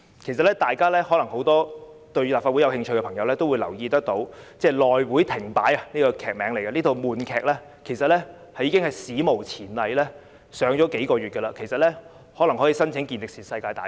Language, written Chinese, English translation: Cantonese, 其實，很多對立法會事務有興趣的朋友也會留意到，"內會停擺"這套悶劇已史無前例地上演了數月，甚至可以申請健力士世界紀錄大全。, In fact people who are interested in the affairs of the Legislative Council should have noticed that the boring drama on the shutdown of the House Committee has unprecedentedly persisted for months . It may even apply for a Guinness World Record